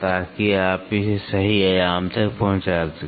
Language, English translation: Hindi, So, that you get it to the perfect dimension